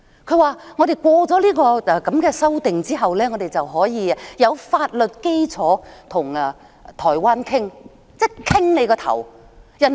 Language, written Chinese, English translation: Cantonese, 她說我們通過修例後，便可以有法律基礎跟台灣討論——討論個鬼？, She said that passage of the legislative amendments would provide a legal basis for discussion with Taiwan―but what is there to discuss?